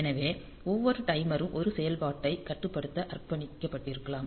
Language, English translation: Tamil, So, each timer may be dedicated for controlling 1 operation